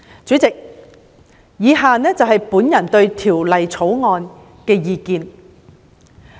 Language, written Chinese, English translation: Cantonese, 主席，以下是我對《條例草案》的意見。, President my personal views on the Bill are as follows